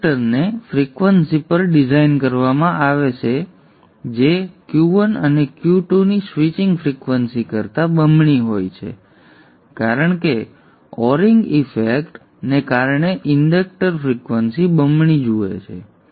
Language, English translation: Gujarati, The inductor will be designed at a frequency which is double the switching frequency of Q1 and Q2 because the inductor is because of the awning effect inductor is in double the frequency